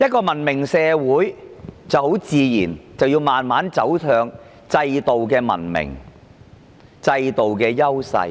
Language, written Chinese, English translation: Cantonese, 文明社會很自然要慢慢走向制度上的文明和優勢。, A civilized society naturally has to move gradually towards institutional civilization and strengths